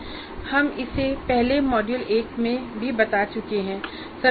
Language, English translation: Hindi, So we have shown this earlier in the module 1 as well